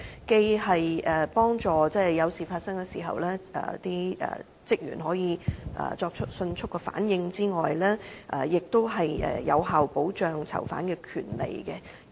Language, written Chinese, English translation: Cantonese, 既可以在事件發生時，幫助職員迅速作出反應，亦有效保障囚犯權利。, That way staff members can respond to any incident quickly and prisoners rights can be given effective protection